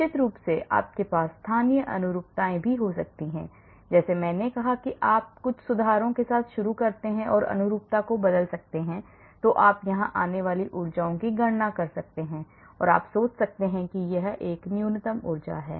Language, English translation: Hindi, of course you may have local conformations also like I said if you start with some conformation and keep changing the conformation, calculate energies you may come here, and you may think this is the minimum energy